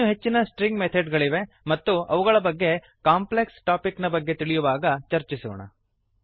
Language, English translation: Kannada, There are more String methods and Well discuss them as we move on to complex topics